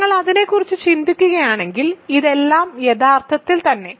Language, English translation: Malayalam, So, if you think about it all of these are actually